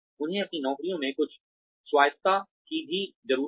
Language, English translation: Hindi, They also need some autonomy in their jobs